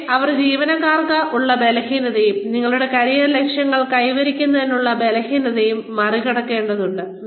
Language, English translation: Malayalam, But, they need to overcome the weaknesses, employees have, and the weaknesses, they need to overcome, in order to, achieve their career goals